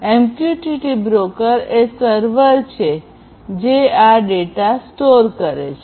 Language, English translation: Gujarati, So, MQTT broker which is a server basically stores this data